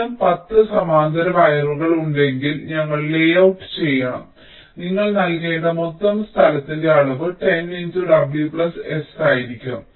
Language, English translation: Malayalam, so if there are ten such parallel wires we have to layout, the total amount of space you have to give will be ten into w plus s